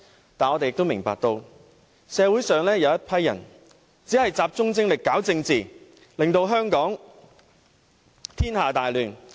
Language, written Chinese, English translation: Cantonese, 但是，我們也明白，社會上有一群人只集中精力搞政治，令香港天下大亂。, However we also understand that a handful of people in the community have only devoted all their energy to politics . As a result Hong Kong has been plunged into grave chaos